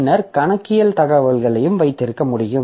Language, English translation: Tamil, Then some accounting information